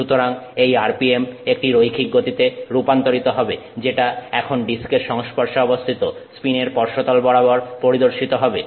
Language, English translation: Bengali, So, therefore this RPM will translate to a linear speed that is experienced by the surface of the pin that is now in contact with the disk